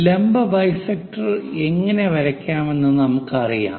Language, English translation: Malayalam, We know perpendicular bisector how to draw that